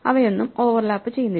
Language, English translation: Malayalam, They do not overlap at all